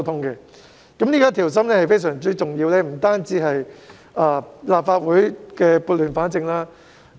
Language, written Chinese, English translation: Cantonese, 這種上下一心，是非常重要的，讓立法會撥亂反正。, Such unity is very important as it has enabled the Legislative Council to right the wrong